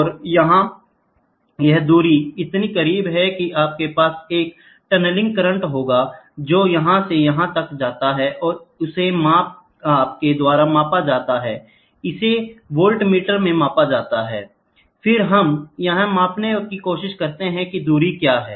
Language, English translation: Hindi, And here, this distance is so close you will have a tunneling current which jumps from here to here, and that is measured that is measured in the voltmeter, and then we try to measure what is the distance